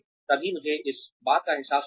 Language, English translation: Hindi, Only then will, I realize this